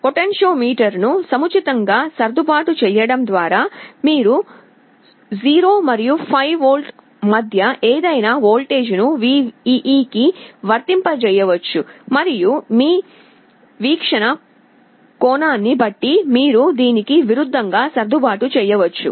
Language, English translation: Telugu, By suitably adjusting the potentiometer, you can apply any voltage between 0 and 5V to VEE and depending on your viewing angle, you can adjust the contrast accordingly